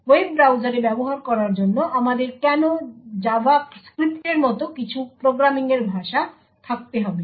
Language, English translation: Bengali, Why do we actually have to have some programming language like JavaScript to be used with web browsers